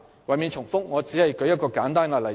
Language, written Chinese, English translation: Cantonese, 為免重複，我只舉出一個簡單例子。, In order not to repeat myself I only cite a simple example